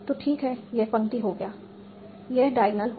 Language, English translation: Hindi, So fine, this row is done, this diagonal is done